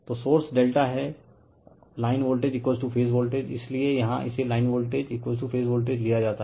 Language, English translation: Hindi, So, source is delta, line voltage is equal to phase voltage, that is why here it is taken line voltage is equal to phase voltage